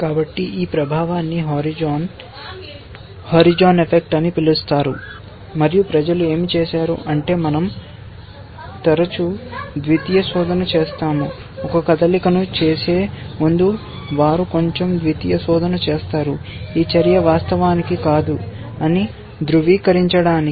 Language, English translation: Telugu, So, this effect is called the horizon effect, and what people have done is that, we often do a secondary search, before making a move they do a little bit of secondary search to verify that the move is indeed not a there are no catastrophic lurking behind that move or something like that